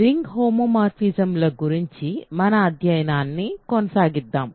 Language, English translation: Telugu, So, let us continue our study of ring homomorphisms